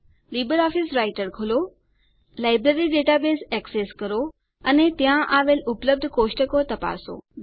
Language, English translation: Gujarati, Open LibreOffice Writer, access the Library database and check the tables available there